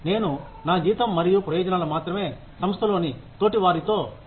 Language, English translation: Telugu, I will not only compare my salary and benefits, with my peers in the same organization